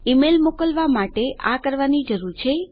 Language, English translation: Gujarati, We need to do this in order to send the email